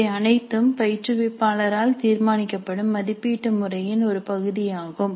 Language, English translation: Tamil, Now these are all part of the assessment pattern which is decided by the instructor